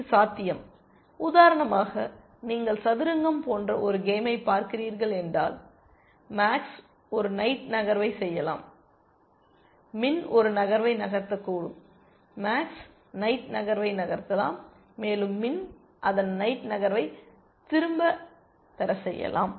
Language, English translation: Tamil, It is possible, if you are looking at a game like chess for example, max might make a knight move, min might make a knight move, max might take the knight move back, and make min take its knight move back